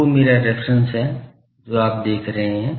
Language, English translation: Hindi, The 2 is my reference you see